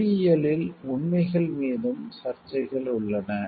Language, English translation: Tamil, In engineering there are controversies over facts as well